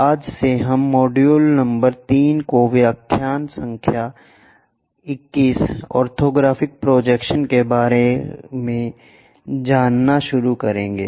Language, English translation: Hindi, From today onwards, we will cover module number 3 with lecture number 21, Orthographic Projections